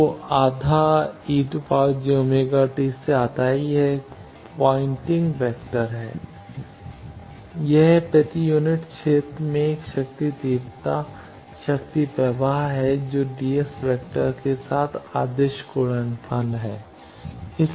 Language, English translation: Hindi, So, half e cross h star that is the pointing vector it is a power intensity power flow per unit area that dotted with the ds vector